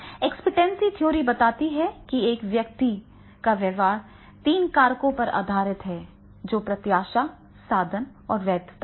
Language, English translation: Hindi, Expectation theory suggests that a person's behavior is based on the three factors, expectancy, instrumentality and valence, right